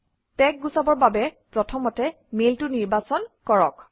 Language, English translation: Assamese, To remove the tag, first select the mail